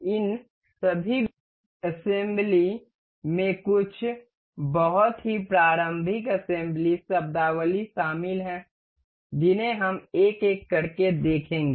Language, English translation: Hindi, All these assembly includes some very elementary assembly terminologies that we will go through one by one